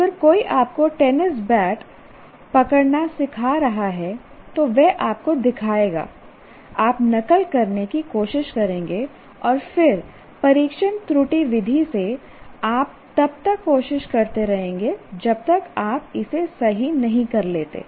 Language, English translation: Hindi, If somebody is teaching you how to hold a tennis bat, then he will show you, then you try to imitate and then you will by trial and error you will keep on attempting until you get it right